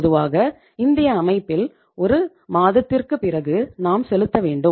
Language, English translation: Tamil, Normally, in Indian system, we have to pay after 1 month